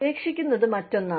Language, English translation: Malayalam, Quitting is another one